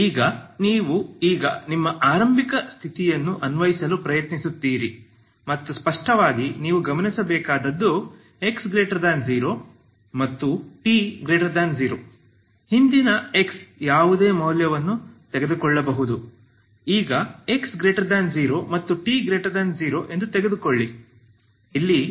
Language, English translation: Kannada, Now you try to apply your initial condition now and clearly what you have to observe is x is positive and t is positive earlier x is x can take any value